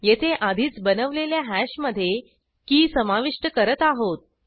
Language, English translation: Marathi, Here we are adding a key to an already created hash